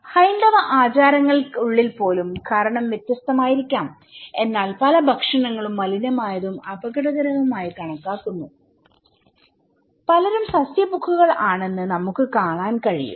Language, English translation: Malayalam, Even within the Hindu practices, the reason could be different but we can see that many foods are considered to be polluted, dangerous and many people are vegetarian